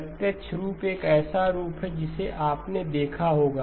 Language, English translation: Hindi, The direct form is a form that you would have looked at